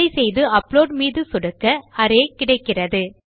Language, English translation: Tamil, When we do and I click on upload, we can see we just get Array